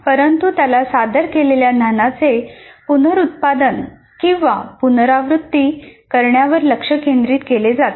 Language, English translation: Marathi, But he is essentially the focus is on reproducing the or repeating the knowledge that is presented to him